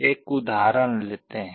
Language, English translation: Hindi, Let us take an example